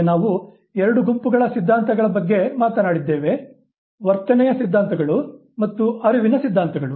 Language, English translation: Kannada, Now that we have talked about the two sets of theories, the behavioral theories and the cognitive theories, let us look at a few things